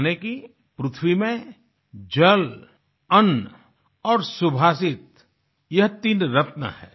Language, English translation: Hindi, That is, water, grain and subhashit are the three gems found on earth